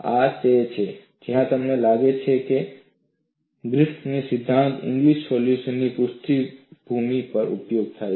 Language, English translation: Gujarati, This is where you find Griffith theory is useful at the backdrop of Inglis solution